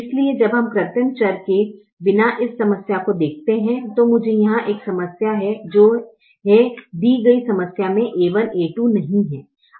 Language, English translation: Hindi, so when we look at this problem without the artificial variable, i have a problem here, which is the given problem, which does not have a one, a two